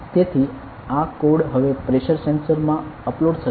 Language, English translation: Gujarati, So, this code will be uploaded into the Pressure sensor now ok